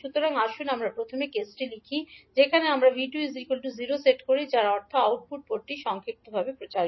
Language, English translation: Bengali, So, let us state first case in which we set V2 is equal to 0 that means the output port is short circuited